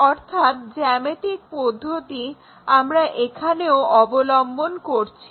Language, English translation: Bengali, The same procedure geometrically here we are doing it in that way